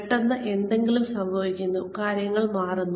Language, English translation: Malayalam, Suddenly, something happens, and things change